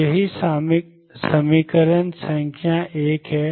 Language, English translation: Hindi, So, that is equation number 1